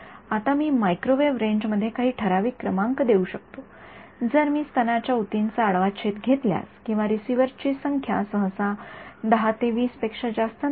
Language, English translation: Marathi, Now, I can give you some typical numbers in the microwave range if I take of cross section of best issue or something the number of receivers is usually no more than 10 to 20